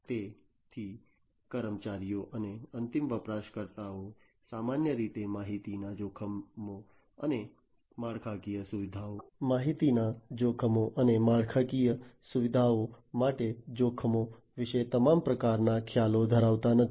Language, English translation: Gujarati, So, employees and the users, end users in fact, typically do not have all types of idea about the information threats, threats to the infrastructure and so on